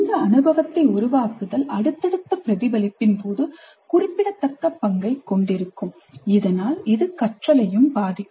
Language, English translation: Tamil, Framing the experience influences subsequent reflection also and thus it will influence the learning also